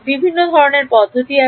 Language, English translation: Bengali, Various methods are there